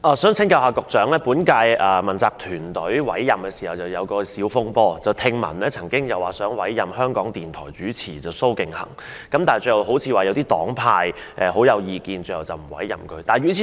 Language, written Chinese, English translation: Cantonese, 在委任本屆問責團隊時曾發生小風波，當時聽說香港電台主持蘇敬恆會獲委任，但最後好像因一些黨派有意見而沒有委任他。, There were some hiccups when the accountability team of the current - term Government was appointed . At that time it was heard that SO King - hang an RTHK host would be appointed but he was eventually not appointed because of objections raised by some political parties and groupings